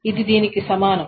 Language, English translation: Telugu, This is equivalent to this